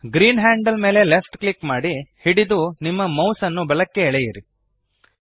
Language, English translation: Kannada, Left click green handle, hold and drag your mouse to the right